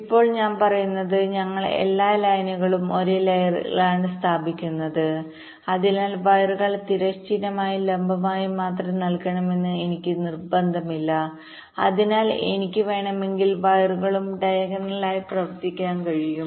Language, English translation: Malayalam, what i am saying is that because we are laying out all the connections on the same layer, so i do not have any compulsion that the wires up to horizontal and vertical only, so i can also run the wires diagonally if i want